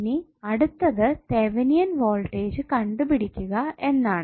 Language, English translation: Malayalam, Now next step is finding out the value of Thevenin Voltage